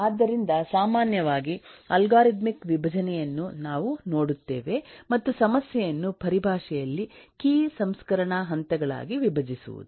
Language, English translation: Kannada, so in general, what we will look at eh algorithmic decomposition as is to decompose the problem in terms of key processing steps